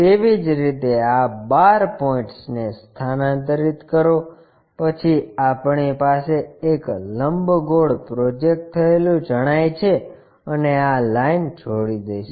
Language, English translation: Gujarati, Similarly, transfer these 12 points, then we will have the projected one as an ellipse and join this line